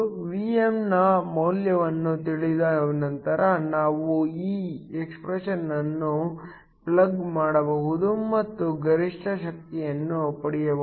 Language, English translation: Kannada, Once we know the value of Vm we can plug in this expression and get the maximum power